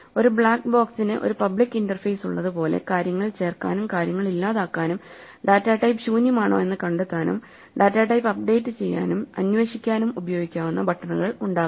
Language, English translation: Malayalam, Like a black box has a public interface the buttons that you can push to update and query the data type to add things, delete things, and find out what whether the data type is empty and so on